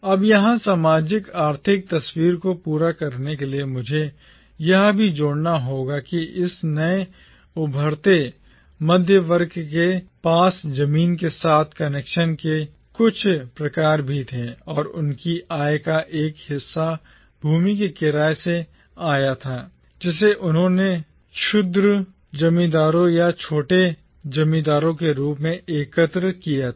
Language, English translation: Hindi, Now, here to complete the socio economic picture, I must also add that this newly emergent middle class also had some form of connections with land and a part of their income came from the land rent that they collected as petty landowners or small landlords